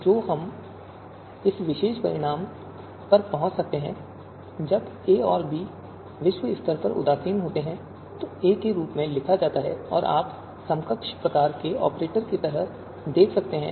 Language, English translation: Hindi, So when we can arrive at this particular you know out this particular outcome, when a and b are globally indifferent, written as a and you can see like you know equivalent kind of you know operator